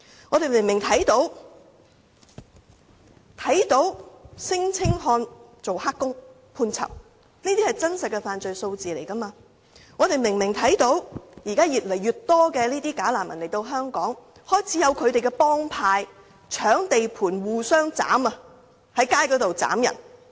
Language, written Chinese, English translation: Cantonese, 我們明明看到有聲請漢"打黑工"而被判囚，這些也是真實的犯罪數字；我們又明明看到現時有越來越多"假難民"來港，更開始有他們的幫派，在搶地盤及在街頭互相斬殺。, The plain fact is that some male non - refoulement claimants have been sentenced to imprisonment for working as illegal workers . These are real crime figures . The plain fact is that more and more bogus refugees are coming to Hong Kong and they even begin to form gangs vie for territories and engage in street gang fights